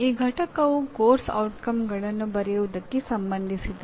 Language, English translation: Kannada, This unit is related to writing Course Outcomes